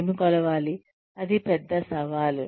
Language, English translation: Telugu, What to measure, is a big challenge